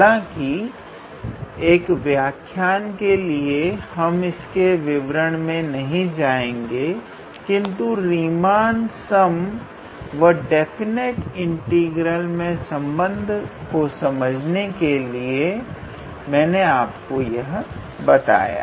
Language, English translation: Hindi, However, for our lecture we would try not to get into those details, but just to give you an idea how Riemann sum is in related to definite integral that is what I was trying to do